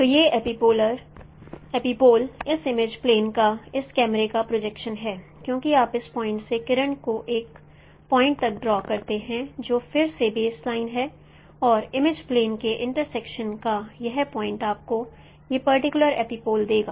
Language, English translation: Hindi, So this epipole is the projection of this camera on this image plane because you draw the ray from this point to this point which is again the baseline and its point of intersection of the image plane will give you this particular epipole